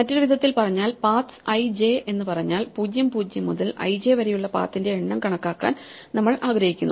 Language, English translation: Malayalam, In other words if we say that paths(i, j) is the quantity we want to compute, we want to count the number of paths from (0, 0) to (i, j)